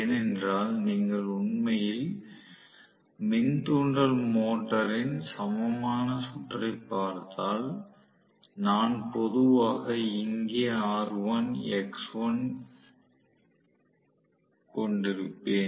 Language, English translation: Tamil, So, this is because if you actually look at the equivalent circuit of the induction motor, I normally have r1 here, x1 here